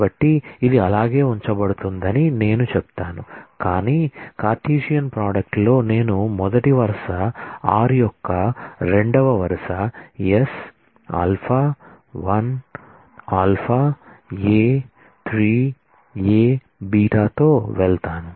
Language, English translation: Telugu, So, I will say this is this will get retained, but in the Cartesian product I will also have the first row of r going with the second row of s alpha 1 alpha A 3 A beta